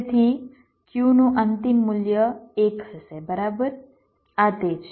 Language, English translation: Gujarati, so the final value of q will be one right